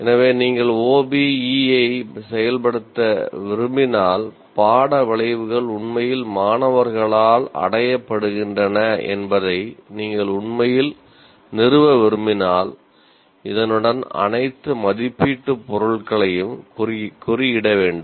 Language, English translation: Tamil, So this is the minimum that is required as far as if you want to implement OBE and if you want to also, if you also want to really establish that the course outcomes are actually attained by the students, one requires tagging of all the assessment items with this